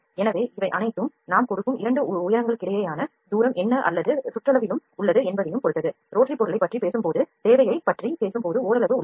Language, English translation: Tamil, So, it all depends at what is the pitch that we what is the distance between the 2 heights that we are giving or in the circumference also there is some degree, when we are talking about the rotary object, when we are talking about need of the object we are just talking about the distance is height and length